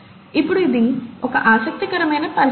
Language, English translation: Telugu, Now this is an interesting observation